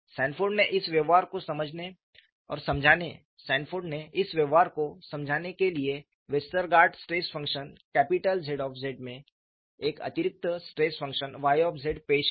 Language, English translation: Hindi, Sanford introduced an additional stress function Y z to Westergaard stress function capital Z z to explain this behavior